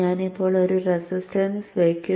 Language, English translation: Malayalam, Okay, so let me now put a resistance